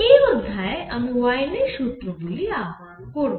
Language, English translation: Bengali, In this lecture we are going to derive Wien’s formulas